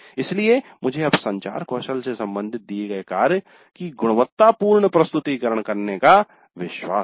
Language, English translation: Hindi, So now I am now confident of making quality presentation of given work related to again communication skills